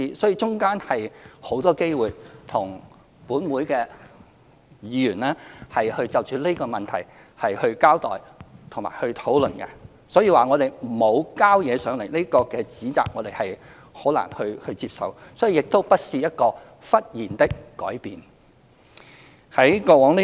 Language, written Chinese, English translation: Cantonese, 其間，我們有很多機會與各位議員就這項問題交代和討論，所以指當局沒有提交文件，這個指責我們很難接受，而這亦不是一個忽然的改變。, During the interim we have had many opportunities of explaining and discussing the issue with Members . Hence we can hardly accept the criticism that the authorities have not presented the relevant papers and this is not a sudden change